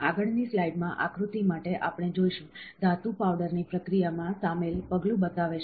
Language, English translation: Gujarati, For the figure in the next slide, we will see, shows the step involved in processing of metal powder